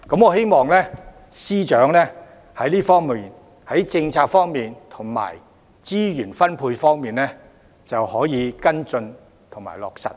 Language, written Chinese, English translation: Cantonese, 我希望司長在政策及資源分配方面，可以跟進和落實。, In addition I hope for the Secretarys follow - up and implementation with regard to policy and allocation of resources